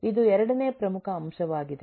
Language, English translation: Kannada, there is a second major element